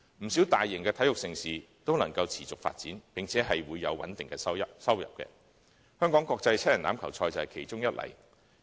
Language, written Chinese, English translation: Cantonese, 不少大型體育盛事均能夠持續發展，並且有穩定的收入，香港國際七人欖球賽便是其中一例。, Quite a number of major sports events are capable of sustaining their development with stable proceeds . The Hong Kong Rugby Sevens is one such example